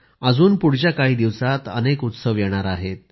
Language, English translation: Marathi, Many more festivals are on the way in the days to come